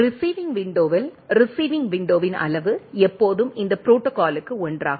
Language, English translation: Tamil, At the receiving window, size of the receiving window is always 1 for this protocol right